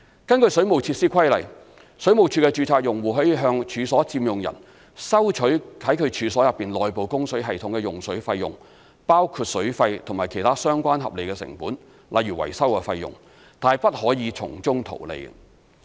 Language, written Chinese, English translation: Cantonese, 根據《水務設施規例》，水務署的註冊用戶可向處所佔用人收取在其處所內部供水系統的用水費用，包括水費及其他相關合理成本，例如維修費用，但不可從中圖利。, Under the Waterworks Regulations registered consumers of WSD may recover from occupiers of the premises the cost of water of an inside service including water charges and other reasonable costs such as maintenance fees . But they may not make profit out of it